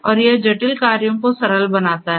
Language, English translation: Hindi, And it makes the complex tasks into simpler tasks